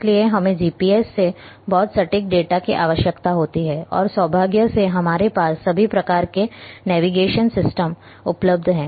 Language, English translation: Hindi, So, we require very high accurate data from GPS, and luckily all kinds of navigation systems are now available